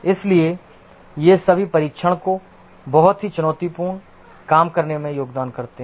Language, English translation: Hindi, So, these all contribute to making testing a very challenging work